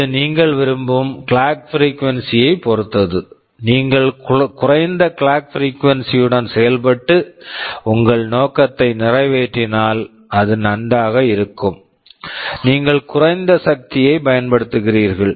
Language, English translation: Tamil, ISo, it depends upon you what clock frequency do you want, if you can operate with a lower clock frequency and serve your purpose it is fine, you will be you will be consuming much lower power